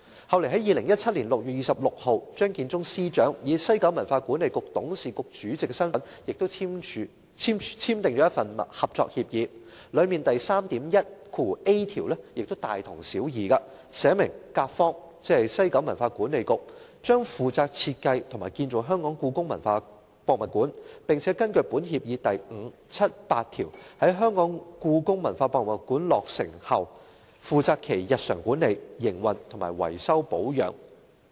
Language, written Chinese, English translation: Cantonese, 後來在2017年6月26日，張建宗司長以西九管理局董事局主席的身份，亦簽訂了一份合作協議，當中第 3.1a 條亦大同小異，寫明"甲方"——即西九管理局——"將負責設計和建造香港故宮文化博物館，並根據本協議第5、7及8條，在香港故宮文化博物館落成後負責其日常管理、營運和維修保養"。, On 26 June 2017 Chief Secretary Matthew CHEUNG in his capacity as Chairman of WKCDA Board also signed a Collaborative Agreement . Article 3.1a of the Agreement similarly states that Party A ie . WKCDA will be responsible for the design and construction of HKPM and also for the day - to - day management operation and maintenance of HKPM after its completion under Articles 5 7 and 8 of the Agreement